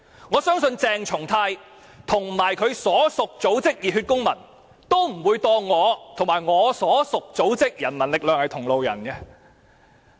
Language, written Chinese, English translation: Cantonese, 我相信鄭松泰議員和他的所屬組織熱血公民，都不會把我和我的所屬組織人民力量視作同路人。, I believe Dr CHENG Chung - tai and the Civic Passion the organization to which he belongs will not regard me and the People Power to which I belong as their comrades